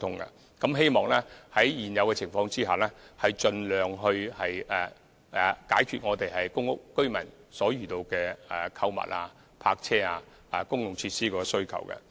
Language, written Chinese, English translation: Cantonese, 我們希望在現有的情況下，盡量解決公屋居民在購物、泊車及公共設施方面的需求。, On the basis of the present circumstances we will try our best to satisfy public housing residents demands for shopping car parking and public facilities